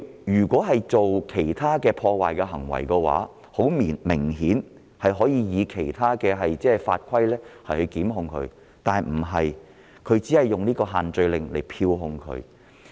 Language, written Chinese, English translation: Cantonese, 如果他曾幹出其他破壞行為，顯然可以其他法規作出檢控，但警方卻只引用限聚令作出票控。, If he had committed other acts of vandalism the Police could have initiated prosecution against him under other legislation but he was only issued fixed penalty tickets under the social gathering restrictions